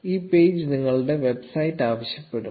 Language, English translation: Malayalam, The page will ask you for your website